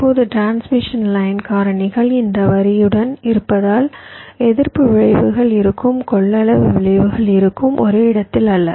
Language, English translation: Tamil, now, because of transmission line factors means along this line there will be resistive effects, there will be capacitive effects, not in one place all throughout